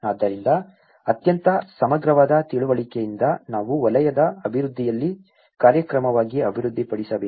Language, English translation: Kannada, So, from a very holistically understanding do we need to develop as a program in a sectoral development